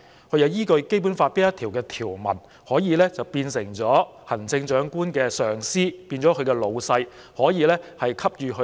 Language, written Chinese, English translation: Cantonese, 它是依據《基本法》哪一項條文，變成行政長官的上司或老闆，可以給予許可？, Pursuant to which article of the Basic Law does it become the superior or the boss of the Chief Executive such that it can give permission to the Chief Executive?